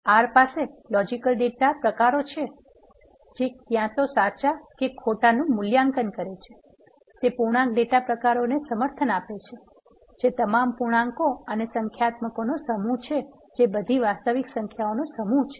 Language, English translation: Gujarati, So, R has logical data types which take either a value of true or false, it supports integer data types which is the set of all integers and numeric which is set of all real numbers